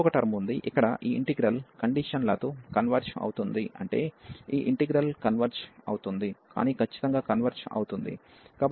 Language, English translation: Telugu, And there is a one more term, which is used here that this integral converges conditionally meaning that this integral converges, but does not converge absolutely